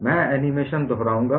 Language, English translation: Hindi, I would repeat the animation